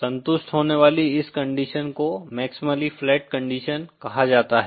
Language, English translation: Hindi, This condition that is satisfied is called the maximally flat condition